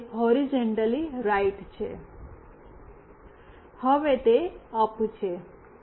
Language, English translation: Gujarati, Now, it is horizontally right, now it is up